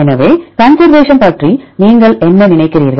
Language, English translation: Tamil, So, what do you think about conservation